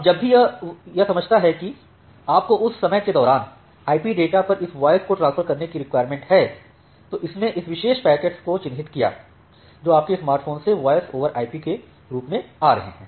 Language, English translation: Hindi, Now, whenever it understand that you need to transfer this voice over IP data during that time it marked this particular packets which are coming from your smartphone as the voice over IP data